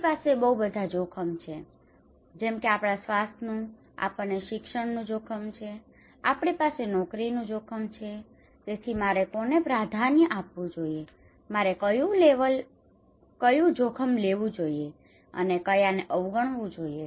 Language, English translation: Gujarati, Okay, we have a health risk, we have academic risk, we have job risk so which one I should prioritise, which one I should take and which one I should ignore